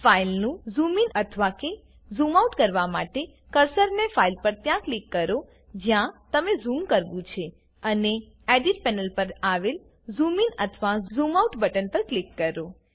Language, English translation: Gujarati, To zoom into or out of a file click the cursor where you need to zoom on the file and click the zoom in or zoom out button on the Edit panel